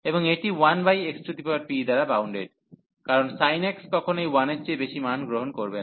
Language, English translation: Bengali, And this is bounded by 1 over x power p, because the sin x will never take value greater than 1